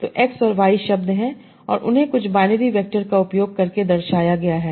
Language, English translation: Hindi, So let us say my, so I have words x and y, and they are denoted using some binary vectors